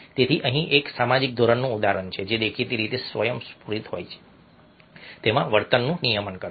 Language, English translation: Gujarati, so here is an example of a social norm regulating a behavior which apparently is spontaneous